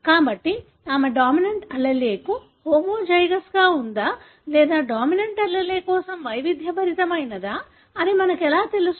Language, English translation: Telugu, So, how do we know whether she is homozygous for the dominant allele or heterozygous for the dominant allele